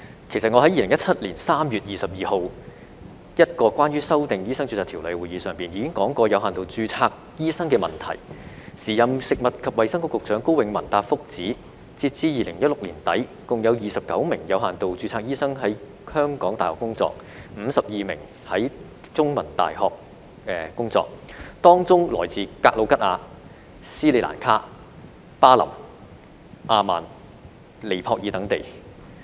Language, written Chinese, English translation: Cantonese, 其實我在2017年3月22日一個關於修訂《醫生註冊條例》的會議上，已經提出過有限度註冊醫生的問題，時任食物及衞生局局長高永文答覆指，截至2016年年底，共有29名有限度註冊醫生於香港大學工作 ，52 名於香港中文大學工作，他們來自格魯吉亞、斯里蘭卡、巴林、阿曼和尼泊爾等地。, In fact I have already raised questions on limited registration at a meeting on the amendment to the Medical Registration Ordinance on 22 March 2017 . KO Wing - man the then Secretary for Food and Health replied that as at the end of 2016 there were 29 doctors under limited registration working in the University of Hong Kong HKU and 52 in The Chinese University of Hong Kong CUHK . These doctors came from places including Georgia Sri Lanka Bahrain Oman and Nepal